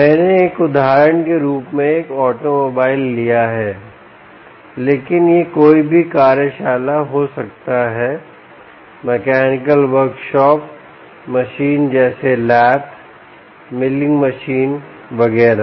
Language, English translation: Hindi, i just take a automobile as an example, but it could also be any ah workshop, ah mechanical workshop machine like laths, milling machines and so on